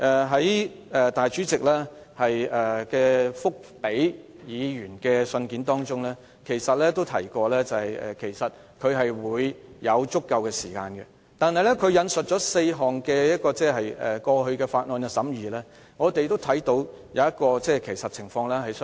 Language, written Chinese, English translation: Cantonese, 在立法會主席回覆議員的信件中，他提到會給予足夠時間，但他引述的過去4項法案的審議，我們都看到各有不同的情況。, In his reply to Members the President has stated that sufficient time would be provided and he has cited the scrutiny time for four bills in the past . Yet we have observed different circumstances surrounding the scrutiny of those four bills